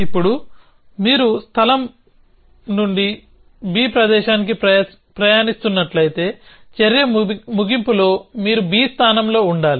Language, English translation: Telugu, Now, if you traveling from place a to place b, then at the end of the action you should be at place b